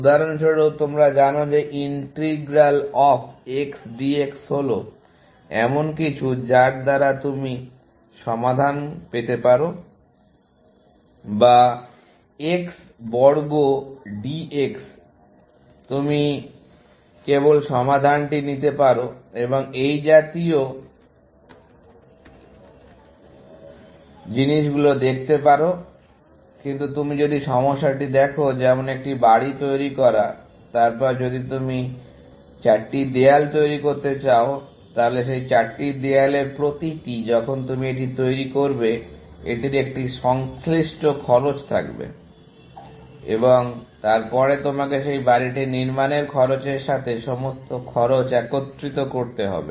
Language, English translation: Bengali, For example, you know that integral of XDX is something that you can just pick up the solution, or X square DX, you can just pick up the solution and things like that, but if you look at the problem, like building a house, then if you going to build 4 walls, then each of those four walls, when you build it; it will have an associated cost, and then, you will have to aggregate all that cost into the cost of building that house, essentially